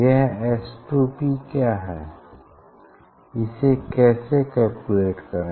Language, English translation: Hindi, what is S 2 P, how to calculate